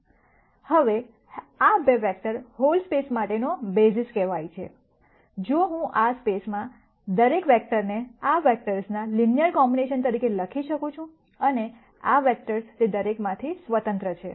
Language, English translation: Gujarati, Now, these 2 vectors are called the basis for the whole space, if I can write every vector in the space as a linear combination of these vectors and these vectors are independent of each of them